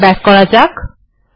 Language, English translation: Bengali, Lets go back here